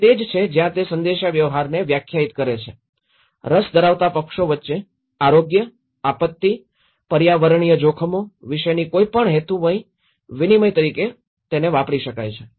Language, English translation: Gujarati, So, this is where he defines the risk communication is defined as any purposeful exchange of information about health, disaster, environmental risks between interested parties